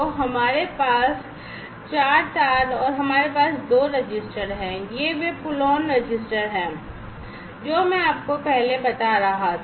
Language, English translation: Hindi, So, we have 4 wires and we have 2 registers, these are those pull on registers, that I was telling you earlier